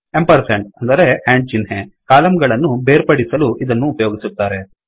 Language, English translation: Kannada, The ampersand, that is the and symbol, is used to separate the columns